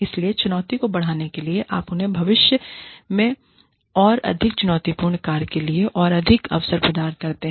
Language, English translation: Hindi, So, to enhance the challenge, you give them more opportunities, for more challenging work, in the future